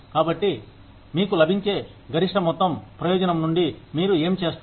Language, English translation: Telugu, So, that you get, the maximum amount of benefit from, what you do